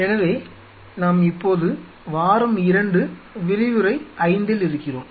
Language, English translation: Tamil, So, we are into now week 2 lecture 5 w 2 1 5